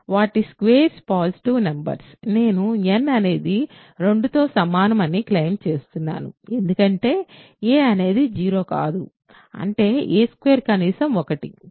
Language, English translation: Telugu, So, and their squares are positive numbers I claim that n is at least 2, because a is not 0; that means, a squared is a at least 1